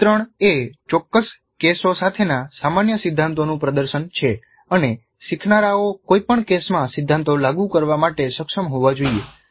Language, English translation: Gujarati, Portrail is demonstration of the general principles with specific cases and learners must be able to apply the principles to any given case